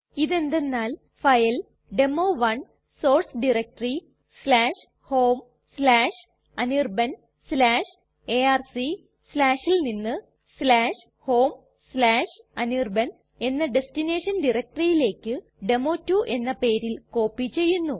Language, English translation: Malayalam, What this will do is that it will copy the file demo1 from source diretory /home/anirban/arc/ to the destination directory /home/anirban it will copy to a file name is demo2